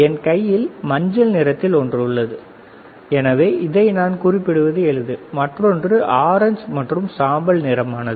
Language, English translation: Tamil, So, one is on my hand, and it is easy to identify I can refer like it is yellow, right this is orange and gray, right